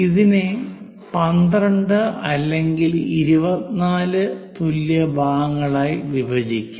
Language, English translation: Malayalam, Once it is done, we have to divide this into 12 equal parts